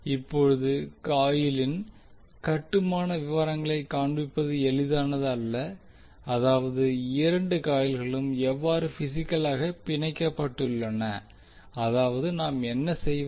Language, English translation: Tamil, Now since it is not easy to show the construction detail of the coil that means how both of the coil are physically bound, what we do